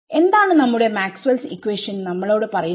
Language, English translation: Malayalam, So, what is our Maxwell’s equation telling us